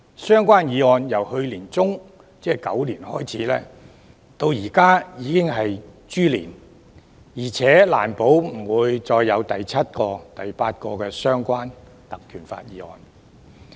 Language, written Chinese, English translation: Cantonese, 相關議案由去年年中，即狗年開始提出，現時已經來到豬年，而且也難保之後不會再有第七、第八個根據《條例》動議的相關議案。, Relevant motions have been proposed since the middle of last year the Year of the Dog and now we have already come to the Year of the Pig . Moreover we cannot assert if there will not be the seventh and eighth relevant motions moved under PP Ordinance